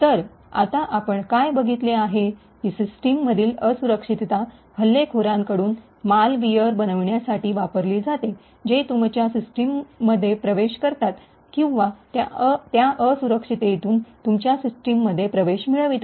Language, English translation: Marathi, So now what we have seen is that a vulnerability in a system can be utilised by an attacker to create malware which would enter into your system or gain access into your system through that particular vulnerability